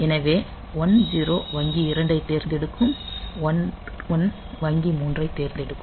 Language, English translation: Tamil, So, 1 0 will select bank 2 and 1 1 will may select bank 3